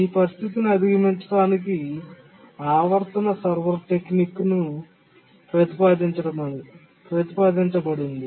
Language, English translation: Telugu, To overcome this situation, the periodic server technique has been proposed